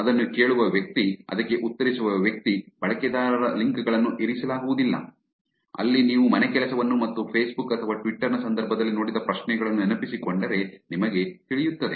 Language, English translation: Kannada, The person who hearts at that, the person who replies it, the links of the users are not kept, where as if you remember the homework and the questions that you have seen in the past where in the context of facebook or twitter